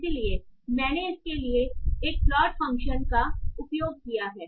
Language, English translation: Hindi, So for that I have have used a plot function